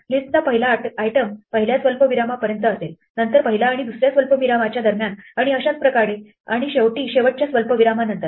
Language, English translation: Marathi, The first item of the list will be up to the first comma then between the first and second comma and so on and finally after the last comma